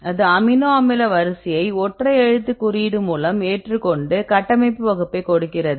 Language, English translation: Tamil, So, here it accepts the amino acid sequence single letter code and then here the important thing is we need to give the structure class